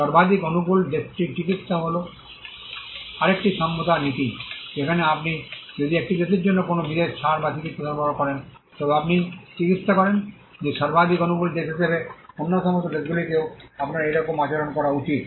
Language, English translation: Bengali, The most favored nation treatment is another equality principle, wherein if you offer a particular concession or a treatment to one country, you treat that as a most favored country, you should offer similar treatment to all other countries as well